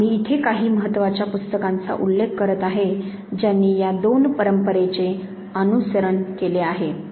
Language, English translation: Marathi, Again I am referring to some of the important work here which has followed these two traditions